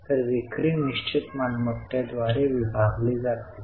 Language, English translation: Marathi, So, sales divided by fixed assets